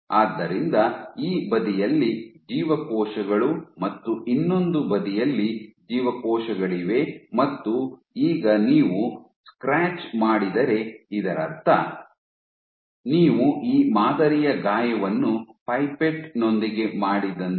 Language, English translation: Kannada, So, you have these cells here you have cells on this side you have cells on this side and you scratch it you introduce this model wound with a pipette